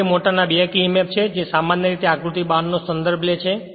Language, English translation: Gujarati, Next is that back emf of a motor generally referred to figure 12